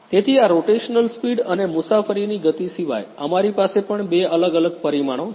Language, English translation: Gujarati, So, apart from this rotational speed and travel speed we have two different parameters as well